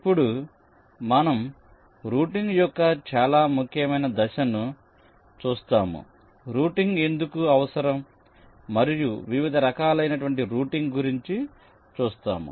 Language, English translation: Telugu, now we shall be looking at the very important step of routing, why it is required and what are the different types of routing involved